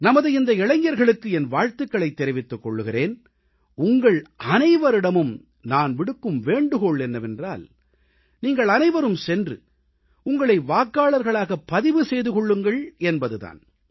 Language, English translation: Tamil, I congratulate our youth & urge them to register themselves as voters